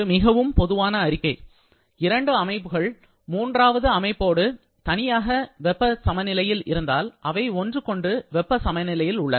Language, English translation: Tamil, A very standard statement; if two systems are in thermal equilibrium with a third system separately, they are also in thermal equilibrium with each other